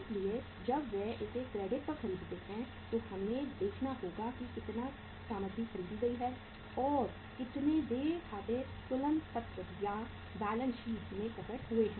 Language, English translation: Hindi, So when they buy it on the credit we have to see that how much material is purchased and how much accounts payable have appeared in the balance sheet